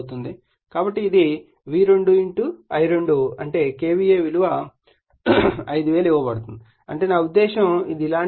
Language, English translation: Telugu, So, it is V2 is your = your V2 I2 is that is KVA is given 5000 I mean this is something like this